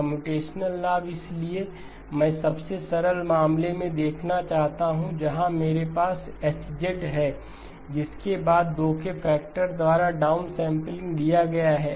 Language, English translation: Hindi, Computational advantage; so I want to look at the simplest case where I have H followed by a down sampling by a factor of 2